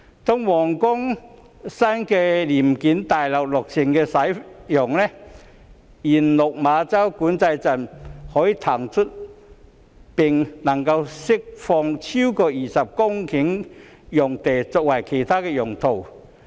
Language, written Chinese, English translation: Cantonese, 當皇崗新聯檢大樓落成使用，原落馬洲管制站將可騰出並釋放超過20公頃用地作其他用途。, When the new Huanggang Joint Inspection Building is completed and commences service over 20 hectares of land can be vacated and released from the site of the original Lok Ma Chau Control Point for some other uses